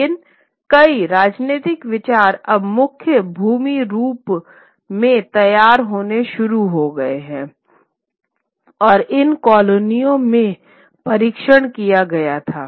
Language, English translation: Hindi, But many of the political ideas which are formulated in mainland Europe now start getting tested in these colonies